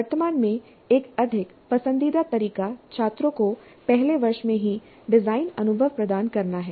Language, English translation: Hindi, A more forward favored approach currently is to provide design experience to the students in the first year itself